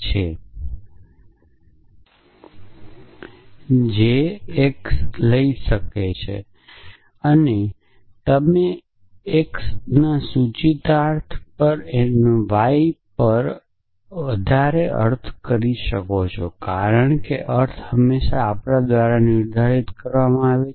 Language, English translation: Gujarati, So, again if p stands for greater than and the implication and the meaning of this is at y is greater than x because the meaning is always determine by us